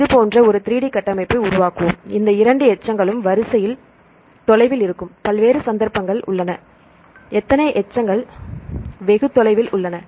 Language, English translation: Tamil, So, let us form a 3D structure like this, there are various occasions where these two residues which are faraway in the sequence, how many residue is far apart